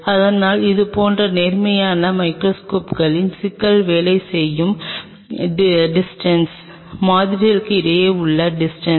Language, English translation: Tamil, But the problem with such upright microscopes are the working distance means, this distance between the sample